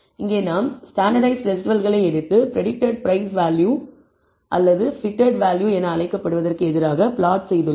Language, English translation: Tamil, Here we have taken the standardized residuals and plotted it against the, what is called the predicted price value or the fitted value